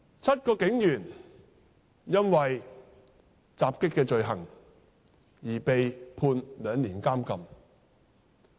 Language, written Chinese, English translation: Cantonese, 七名警員因襲擊罪而被判兩年監禁。, The seven policemen are sentenced to imprisonment for two years for assault